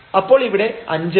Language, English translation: Malayalam, So, we will get 4